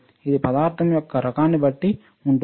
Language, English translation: Telugu, It depends on the type of material